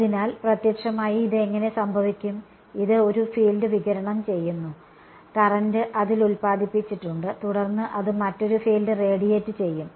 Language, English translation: Malayalam, So, how does this what will happen physically is, this guy radiates a field, current is induced on it right and then that in turn will radiate another field ok